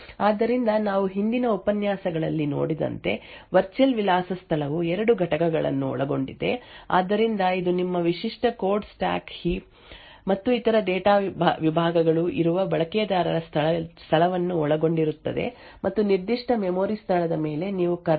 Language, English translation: Kannada, So the virtual address space as we have seen in the previous lectures comprises of two components, so it comprises of a user space where your typical code stack heap and other data segments are present and above a particular memory location you have the kernel space